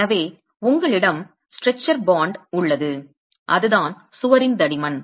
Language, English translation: Tamil, So you have a stretcher bond and that's the thickness of the wall